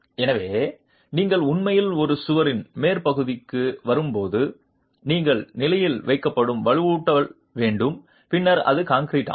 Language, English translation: Tamil, So when you are actually coming to the top of a wall, you have the reinforcement placed in position and then it is concreted